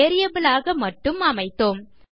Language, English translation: Tamil, Weve just set it as a variable